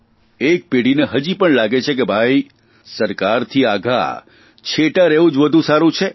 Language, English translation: Gujarati, One generation still feels that it is best to keep away from the government